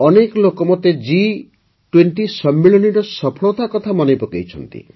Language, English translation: Odia, Many people reminded me of the success of the G20 Summit